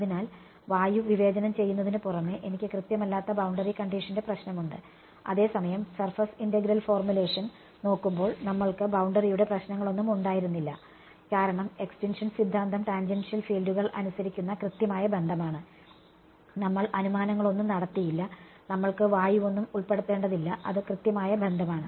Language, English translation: Malayalam, So, apart from discretizing air I have the problem of inexact boundary condition whereas when we look at surface integral formulation, we did not have any problem of boundary because the extinction theorem was the exact relation obeyed by tangential fields, we did not make any approximations, we did not have to include any air, it is exactly the relation right